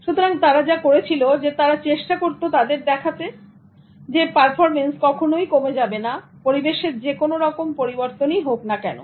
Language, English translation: Bengali, So whatever they did, they tried to show them that their performance will never diminish instead of whatever changes they will make in the environment